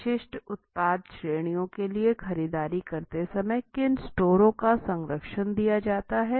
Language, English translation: Hindi, Which stores are patronized when shopping for specific product categories